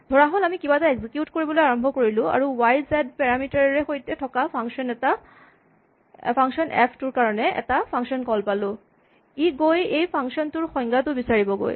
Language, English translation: Assamese, So, suppose we start executing something and we have a function call to a function f, with parameters y and z this will go and look up a definition for the function and inside the definition perhaps